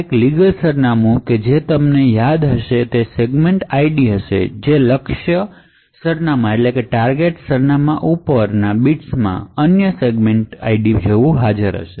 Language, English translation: Gujarati, So, a legal address as you may recall would have the same segment ID that is the upper bits of that target address would have that unique segment ID